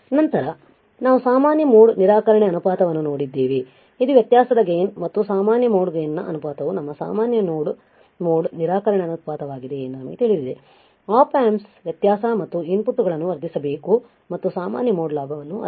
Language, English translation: Kannada, Then we have seen a favorite common mode rejection ratio, we know that the ratio of the difference gain to the common mode gain ad by a cm is our common mode rejection ratio, Op Amps are only supposed to amplify the difference and of the inputs and not the common mode gain